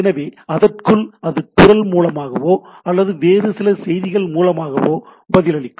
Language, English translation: Tamil, So, within that it will respond either by voice or send me back some other message and type of things